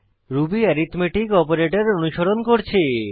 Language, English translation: Bengali, Ruby has following arithmetic operators